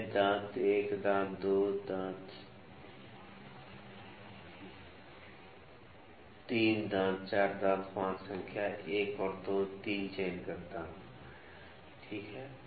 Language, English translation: Hindi, I will pick teeth 1, tooth 1, tooth 2, tooth 3, tooth 4, and tooth 5, reading number 1, 2 and 3, ok